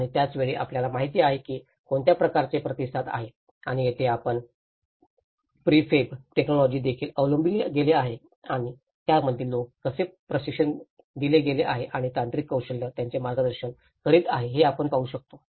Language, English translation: Marathi, And at the same time, you know what is the kind of response and this is where we can see the prefab technology also have been adopted and how people have been trained in it and the technical expertise have been guiding them